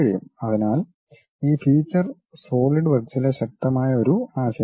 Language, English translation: Malayalam, So, these features is a powerful concept in solidworks